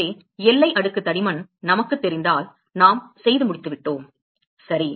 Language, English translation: Tamil, So, if we know the boundary layer thickness we are done ok